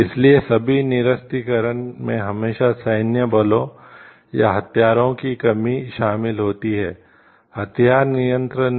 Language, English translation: Hindi, So, all the disarmaments always involves the reduction of military forces, or weapons arms control does not